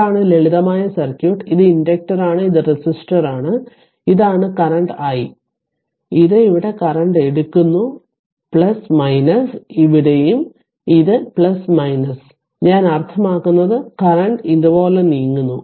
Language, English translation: Malayalam, So, this is the simple circuit this is inductor and this is resistor and this is the current i right and it is taken current your here it is plus minus here also it is plus minus, I mean I mean current is ah current is moving like this this is current i right